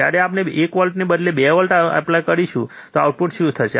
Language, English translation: Gujarati, When we applied 2 volts instead of 1 volt, what is the output